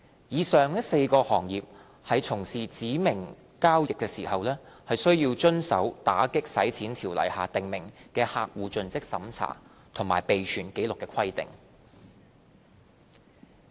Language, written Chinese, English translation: Cantonese, 以上4個行業在從事指明交易時，須遵守《條例》下訂明就客戶作盡職審查及備存紀錄的規定。, When engaging in specified transactions members of these four sectors must observe the CDD and record - keeping requirements under AMLO